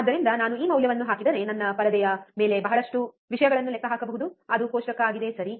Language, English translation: Kannada, So, then if I put this value I can calculate lot of things on my screen which is the table, right